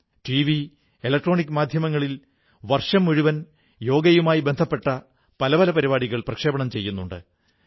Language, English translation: Malayalam, Usually, the country's Television and electronic media do a variety of programmes on Yoga the whole year